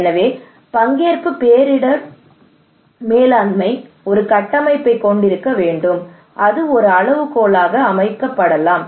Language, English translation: Tamil, So participatory disaster risk management should have one framework through which to the kind of benchmark